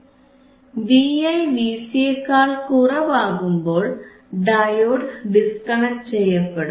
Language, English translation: Malayalam, When V iVi is less than V cVc, this diode is disconnected